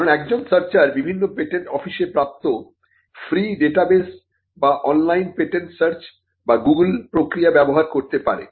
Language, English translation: Bengali, Because a searcher may use a free database like a database provided by the various patent offices or by free patents online or by google, googles patent search